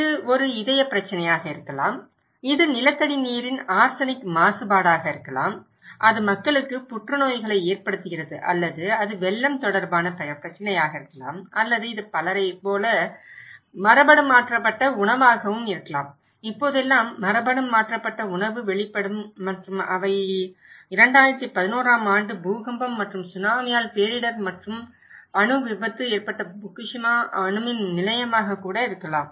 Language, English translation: Tamil, It could be a heart problem, it could be arsenic contaminations of groundwater and that’s causing the cancers to the people or it could be flood related issues or it could be genetically modified food like many people and nowadays exposed to genetically modified food and they are having a lot of health issues or could be Fukushima nuclear plant that was devastated and nuclear accident took place by 2011 earthquake and Tsunami